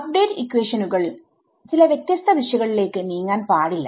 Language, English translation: Malayalam, It should not be that the update equations are taking in some different directions